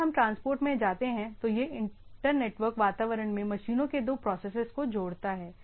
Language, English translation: Hindi, If we go to the transport it connects two processes into machines in the internetwork